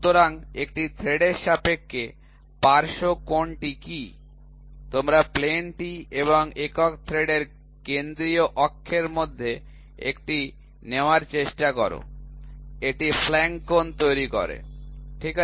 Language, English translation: Bengali, So, what is flank angle with respect to the thread here, you try to take one between the plane and the central axis of the single thread it makes a flank angle, ok